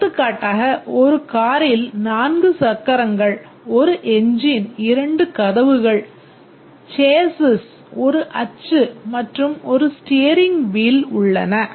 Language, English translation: Tamil, For example, a car contains four wheels, one engine, two doors, chassis, one axle and one steering wheel